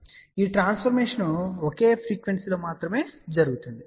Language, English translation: Telugu, Now, this transformation happens only at single frequency